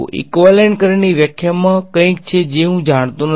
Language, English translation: Gujarati, The definition of the equivalent current contains something which I do not know